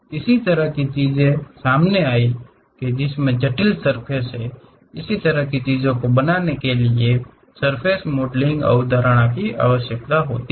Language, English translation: Hindi, These kind of things have surfaces, a complicated surfaces; how to really make that kind of things requires surface modelling concept